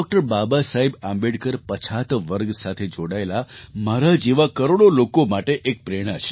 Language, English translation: Gujarati, Baba Saheb Ambedkar is an inspiration for millions of people like me, who belong to backward classes